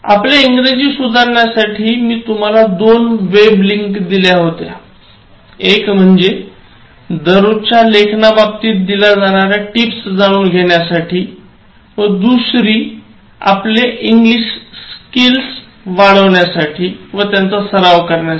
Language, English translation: Marathi, In order to improve your English, further I gave you two web links: One on daily writing tips, the other one on English practice